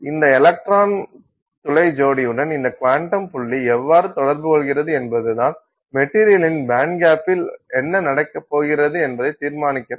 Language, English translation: Tamil, And how this quantum dot interacts with this electron hole pair is what decides what is going to happen with the band gap of the material